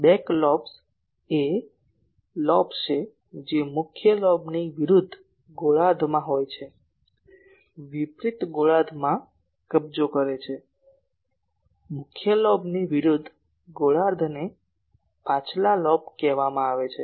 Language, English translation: Gujarati, Back lobes are lobes which are in the opposite hemisphere to the main lobe , opposite hemisphere occupying the, opposite hemisphere of the main lobe that is called back lobe ok